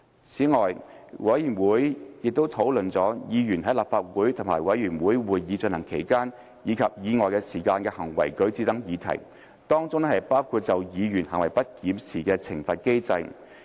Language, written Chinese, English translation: Cantonese, 此外，委員會亦討論了議員在立法會和委員會會議進行期間及以外時間的行為舉止等議題，當中包括就議員行為不檢作出懲罰的機制。, The Committee also discussed Members conduct during and outside meetings of the Council and committees including a mechanism to impose sanctions on Members for misconduct